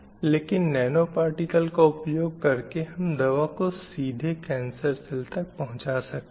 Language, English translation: Hindi, But when we use this nanoparticle, it can specifically go only to the cancer cells and kill the cancer cell